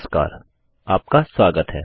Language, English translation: Hindi, Hello and welcome